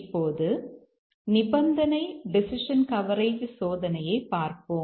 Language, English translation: Tamil, Now let's see the condition decision coverage testing